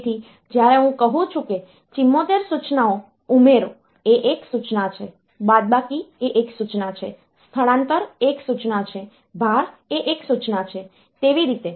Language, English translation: Gujarati, So, when I say 74 instruction like add is an instruction, subtract is an instruction, move is an instruction, load is an instruction, like that